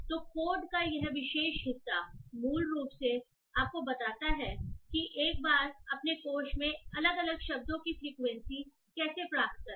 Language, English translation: Hindi, So this particular chunk of code basically tells you how to find the frequency of the individual words in your corpus